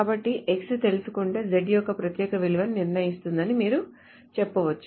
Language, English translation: Telugu, So you can simply say that knowing x will determine the unique value of z